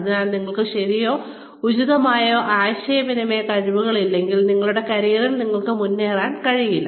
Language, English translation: Malayalam, So, unless, you have the right, or an appropriate, an optimum level of communication skills, you will not be able to progress, in your career